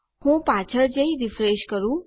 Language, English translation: Gujarati, Let me go back and refresh this